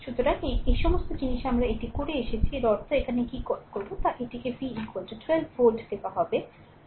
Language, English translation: Bengali, So, all this things we have done it so; that means, your what you call here it is given v is equal to 12 volt